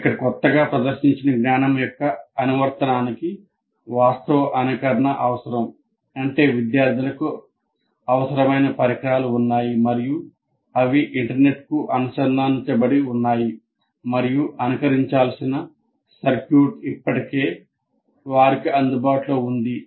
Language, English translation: Telugu, So, here the application of the new demonstrated knowledge will require actual simulation, which means the students have the necessary devices with them and they are connected to the internet and already the circuit that needs to be simulated is already made available to them